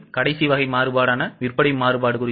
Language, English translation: Tamil, Now, the last type of variance, that is a sales variance